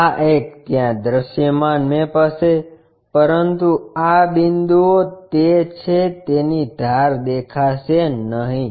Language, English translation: Gujarati, This one this one will be visible maps there, but these points are those edges will not be visible